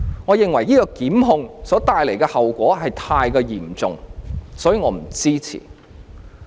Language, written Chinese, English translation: Cantonese, 我認為這類檢控的後果非常嚴重，所以我不支持。, I think the consequence for this kind of prosecution is very serious so I do not render support